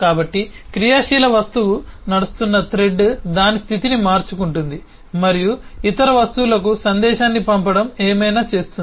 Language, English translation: Telugu, so the thread on which the active object runs will by itself manage, change its state and, for doing whatever it is to do, send message to other objects